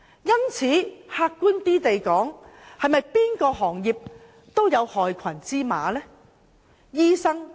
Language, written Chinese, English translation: Cantonese, 因此，客觀而言，不論哪個行業也會有害群之馬，對嗎？, Hence to be objective there are black sheep in every sector . Am I right?